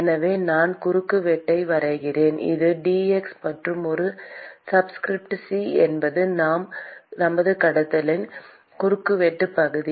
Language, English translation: Tamil, So, supposing I draw the cross section, this is dx; and A subscript c is the cross sectional area of our conduction